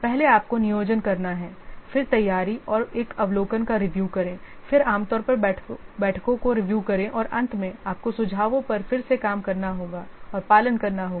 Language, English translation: Hindi, First you have to do the planning, then review preparation and an overview, then usual review meetings and finally you have to rework on the suggestions and follow up